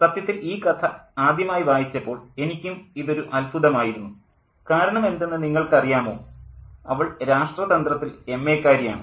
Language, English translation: Malayalam, And in fact, this is, this was such a, you know, surprise to me too when I first read the story because she has an MA in politics, not a B